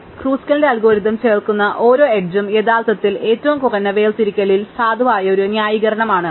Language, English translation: Malayalam, So, every edge the Kruskal's algorithm adds is actually a valid edge justified by the minimum separator